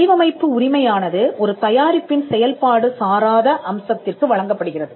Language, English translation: Tamil, A design right is granted to a non functional aspect of the product